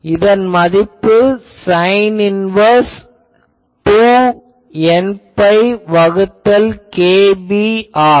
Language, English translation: Tamil, It is sin inverse 2 n pi by kb